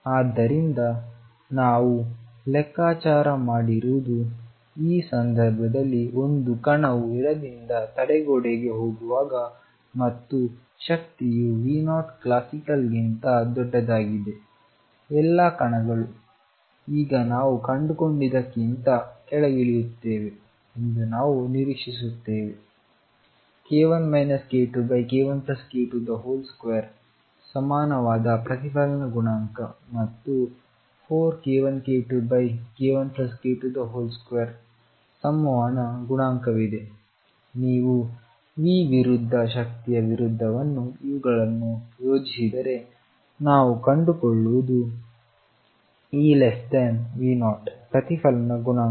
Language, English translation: Kannada, So, what we have calculated is in this case when a particle is going from the left hitting a barrier and the energy is such that this is greater than V 0 classical if we would expect that all the particles will go this below what we find now is that there is a reflection coefficient which is equal to k 1 minus k 2 over k 1 plus k 2 whole square and the transmission coefficient which is four k 1 k 2 over k 1 plus k 2 square if you plot these against the energy versus V then what we find is if e is less than V 0 the reflection coefficient